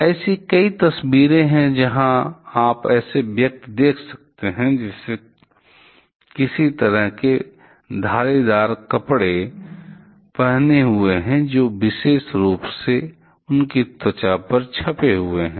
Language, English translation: Hindi, There are several photographs where you can see persons who are wearing some kind of stripe cloths they that particular stripe got printed on their skin